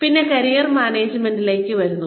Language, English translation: Malayalam, Then, we come to Career Management